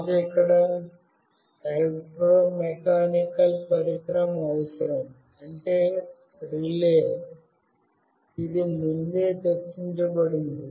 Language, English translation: Telugu, We need an electromechanical device here, that is relay, which is already discussed earlier